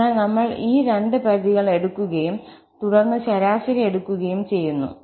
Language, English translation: Malayalam, So, we take these two limits and then take the average